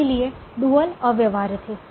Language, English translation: Hindi, so dual was feasible right through